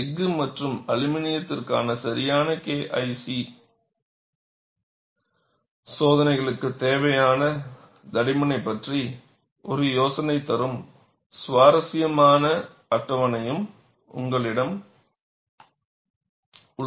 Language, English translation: Tamil, And you also have a very interesting table, which gives an idea about the thicknesses required for valid K 1 C tests for steel and aluminum